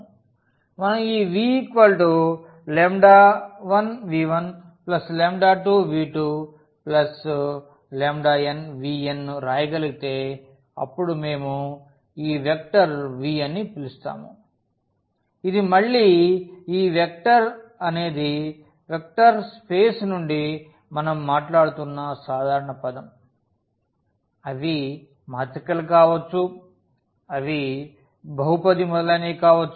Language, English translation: Telugu, If we can write down this v as lambda 1 v 1 plus lambda 2 v 2 plus lambda n v n then we call this vector v which is again this vector is a more general term we are talking about from the vector space they can be matrices, they can be polynomial etcetera